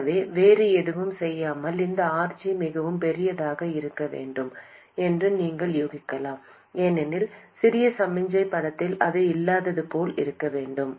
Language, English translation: Tamil, So even without doing anything else, you can guess that this RG has to be very large, because in the small signal picture it should be as good as not being there